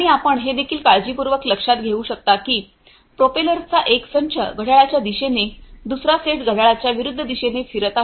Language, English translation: Marathi, And, as you can also notice carefully that the one set of propellers is rotating counterclockwise the other set is rotating clockwise